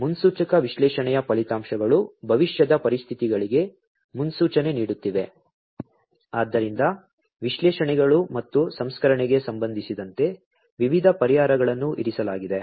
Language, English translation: Kannada, The outcomes from predictive analytics are forecasting for future conditions So, there are different solutions, that are placed that are in place, with respect to analytics and processing